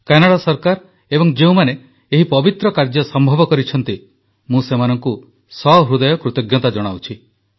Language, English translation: Odia, I express my gratitude to the Government of Canada and to all those for this large heartedness who made this propitious deed possible